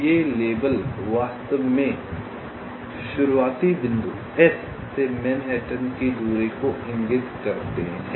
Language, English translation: Hindi, so these labels indicate actually manhattan distance from the starting point s